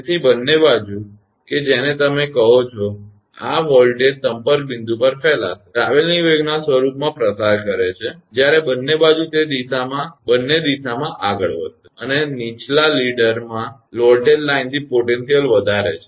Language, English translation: Gujarati, So, both side that what you call; this voltage will propagate at the contact point propagates in the form of travelling wave; when both side it will move, in both direction and raises the potential to the line to the voltage of the downward leader